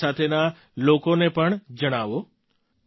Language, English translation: Gujarati, Inform those around you too